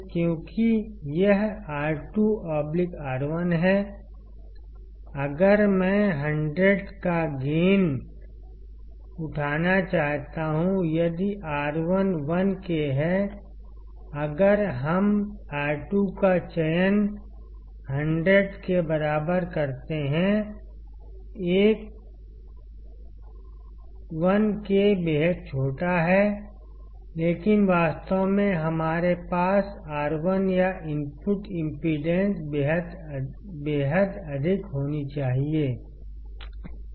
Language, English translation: Hindi, Because it is R2 by R1; if I want to have gain of 100; if R1 is 1K; if we select R2 equal to 100; 1K is extremely small, but in reality we should have R1 or the input impedance extremely high